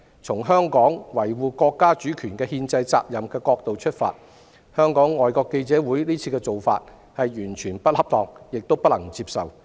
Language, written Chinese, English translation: Cantonese, 從香港維護國家主權憲制責任的角度出發，香港外國記者會的做法完全不恰當，亦令人無法接受。, Given Hong Kongs constitutional obligation to safeguard the national sovereignty what FCC has done is entirely improper and unacceptable